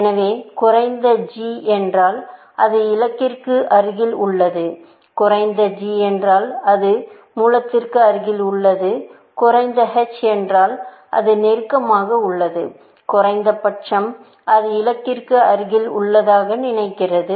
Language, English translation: Tamil, So, low g means, it is close to the goal; low h means, it is close to the; sorry, low g means it is close to the source; low h means, it is close to the, at least, thinks it is close to the goal